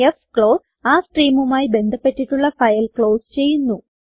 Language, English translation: Malayalam, fclose closes the file associated with the stream